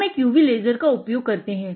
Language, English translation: Hindi, We use a laser, UV laser